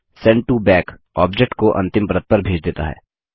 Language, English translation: Hindi, Send to Back sends an object to the last layer